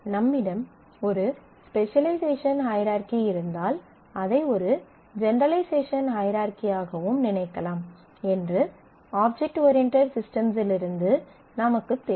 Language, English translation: Tamil, You can look at now you know from the object based system that if you have a specialization hierarchy you can think of it as a generalization hierarchy also